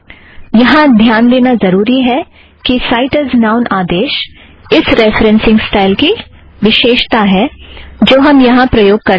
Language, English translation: Hindi, It is important to note that cite as noun is a command that is specific to the referencing style that we used now